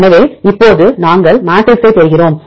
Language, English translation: Tamil, So, now, we derive the matrices